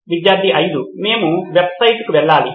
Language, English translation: Telugu, We have to go to the website